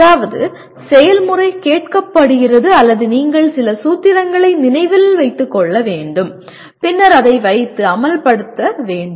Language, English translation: Tamil, That means the procedure is asked or you have to remember certain sets of formulae and then put that and implement